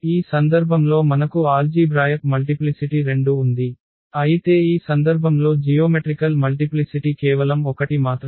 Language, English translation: Telugu, In this case we have the algebraic multiplicity 2, but geometric multiplicity is just 1 in this case